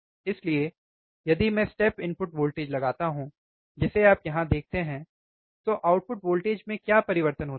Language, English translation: Hindi, So, if I apply step input voltage, which you see here, what is the change in the output voltage